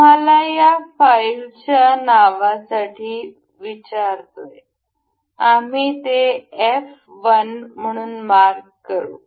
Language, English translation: Marathi, Ask us for this some file name, we will mark it as f 1